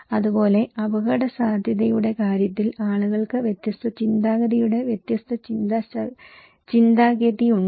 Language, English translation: Malayalam, Similarly, in case of risk people have very different mindset of different way of thinking